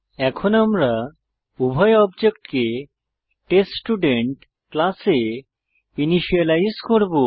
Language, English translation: Bengali, We will now initialize both the objects in theTestStudent class